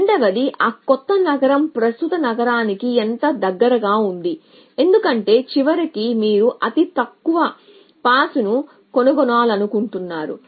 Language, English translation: Telugu, And secondly how close that new city is to the current city, because eventually you want to find shortest pass